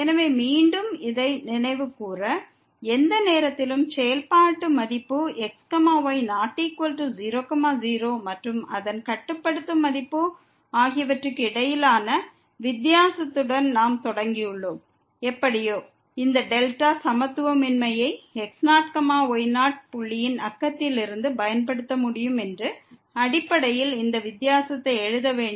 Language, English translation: Tamil, So, again just to recall this so, we have started with the difference between the function value at any point not equal to and its limiting value and somehow we have to write down this difference in terms of the so that we can use this delta inequality from the neighborhood of the x naught y naught point which is in this case